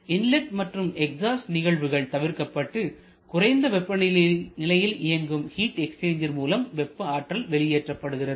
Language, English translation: Tamil, And the inlet and exhaust processes are eliminated and substituted by a low temperature heat exchanger which is which is allowing the heat release